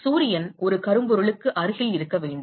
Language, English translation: Tamil, Sun is supposed to be close to a blackbody